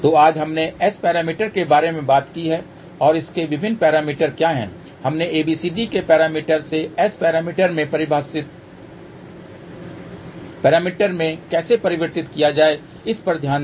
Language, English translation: Hindi, So, today we talked about S parameters and what are its various parameters we looked at how to convert from ABCD parameters to S parameter